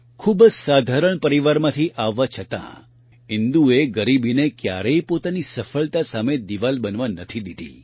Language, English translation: Gujarati, Despite being from a very ordinary family, Indu never let poverty become an obstacle in the path of her success